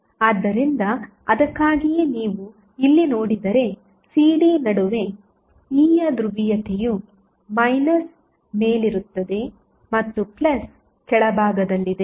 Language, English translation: Kannada, So, that is why if you see here, it between CD the polarity of E is of minus is on the top and plus is on the bottom